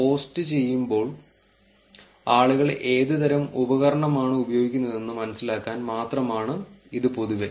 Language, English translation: Malayalam, Well this is generally only to get a sense of what kind of device people are using while posting